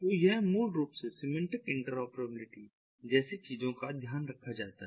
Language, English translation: Hindi, so this is basically taken care of by things like semantic interoperability